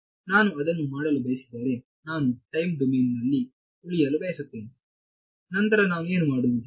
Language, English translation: Kannada, If I do not want to do that, I want to stay in the time domain then how do I deal with